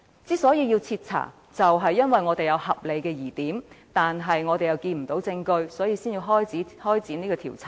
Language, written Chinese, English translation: Cantonese, 之所以要徹查，正是因為有合理疑點卻看不到證據，所以才要展開調查。, It is exactly because there are reasonable doubts but no evidence of proof that a thorough investigation is needed